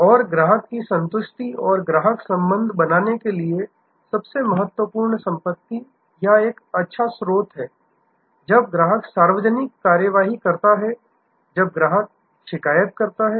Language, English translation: Hindi, And the most important asset or a good source for creating customer satisfaction and customer relationship is when customer takes public action, when customer complaints